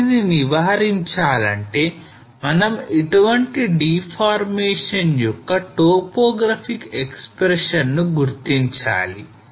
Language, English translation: Telugu, So to avoid this we need to identify the topographic expressions of such deformation